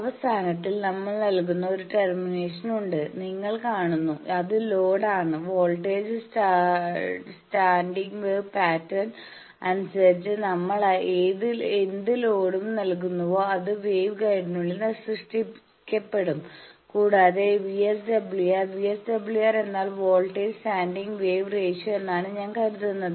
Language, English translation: Malayalam, You see that at the end there is a termination we give that is the load, what you what load we give depending on the voltage standing wave pattern will be created inside the wave guide and that VSWR, VSWR means voltage standing wave ratio, I think you know from your transmission line theory that it is defined as voltage maximum by voltage minimum the line